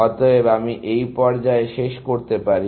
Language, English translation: Bengali, Therefore, I can terminate at this stage